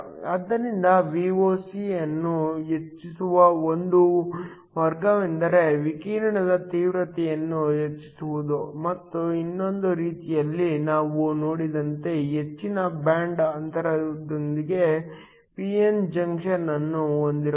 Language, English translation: Kannada, So, One way of increasing Voc is to increase the intensity of the radiation and the other way we saw, was to have a p n junction with a higher band gap